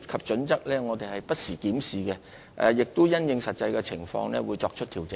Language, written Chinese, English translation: Cantonese, 此外，我們會不時檢視《規劃標準》，並因應實際情況作出調整。, In addition we will review HKPSG from time to time and make adjustments in light of the actual situation